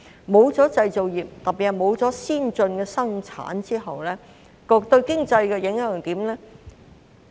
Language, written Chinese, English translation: Cantonese, 沒有了製造業，特別是沒有了先進的生產後，對經濟有甚麼影響？, Without the manufacturing industry especially advanced production what are the impacts on the economy?